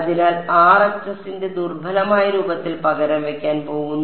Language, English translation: Malayalam, So, in the weak form of RHS is going to be replaced by